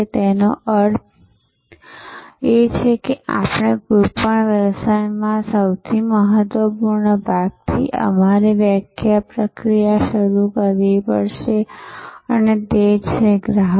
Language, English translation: Gujarati, Obviously, it means that we have to start our definition process from the most important part of any business and that is customers